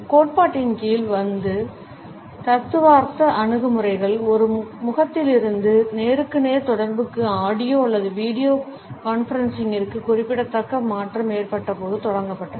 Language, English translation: Tamil, The theoretical approaches which come under this theory is started when there was a remarkable shift from a face to face communication to audio or video conferencing